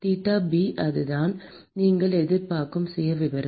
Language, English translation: Tamil, theta b that is the profile that you will expect